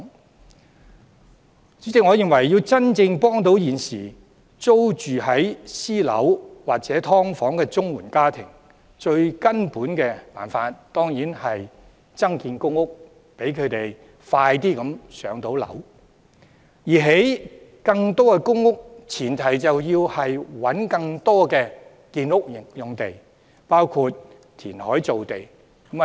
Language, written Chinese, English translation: Cantonese, 代理主席，我認為要真正協助現時租住私樓或"劏房"的綜援家庭，最根本的辦法當然是增建公屋，讓他們盡快"上樓"；而要興建更多公屋的前提是要尋覓更多的建屋用地，包括填海造地。, Deputy President I think the ultimate solution to assisting CSSA households renting private or subdivided units is increasing public housing supply so that they can be allocated public housing units as soon as possible . To achieve that more land for housing construction must be secured including making land by reclamation